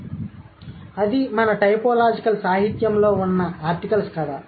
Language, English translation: Telugu, So, that's the story of articles that we have in our typological literature